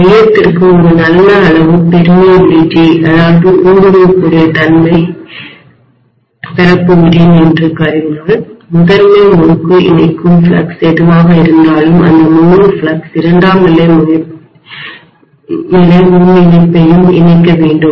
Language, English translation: Tamil, Assuming that I am going to have a good amount of permeability for the core whatever is the flux that is linking the primary winding the entire flux should also link the secondary rewinding